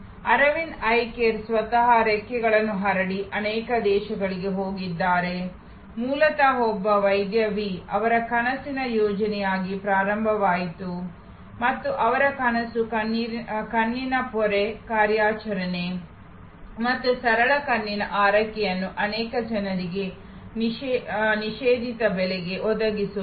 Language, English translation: Kannada, Aravind Eye Care themselves are spread their wings and gone to many countries, originally started as a dream project by one individual Doctor V and his dream was to provide cataract operation and simple eye care to many people at a fordable price